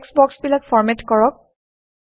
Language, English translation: Assamese, Format these text boxes